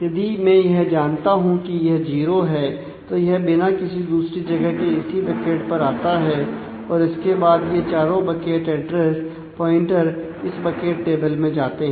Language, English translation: Hindi, So, if I know that it is 0 then it comes to only this bucket and nowhere else consequently all these 4 bucket address pointers actually go to this bucket table